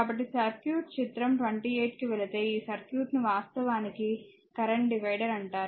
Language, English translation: Telugu, So, circuit shown in figure 28 is called the current divider